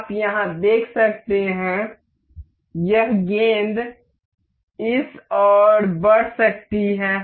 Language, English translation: Hindi, You can see here, this ball can move into this